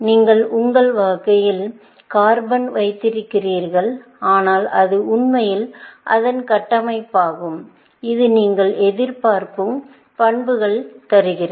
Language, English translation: Tamil, You, basically, holding carbon in your hand, but it is really the structure of it, which gives it the properties that you looking for